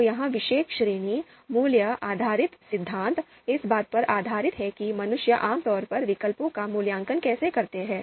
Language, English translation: Hindi, So this particular category value based theories is based on how humans typically evaluate alternatives